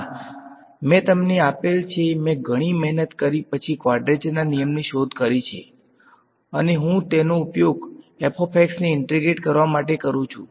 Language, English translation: Gujarati, No, I have given you I have invented after a lot of hard work I have invented a quadrature rule ok and, I use it to integrate f of x